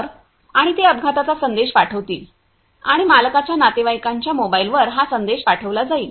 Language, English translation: Marathi, So, and they will send publish the message of the accident and it will the message will be sent to the mobile of the owners relatives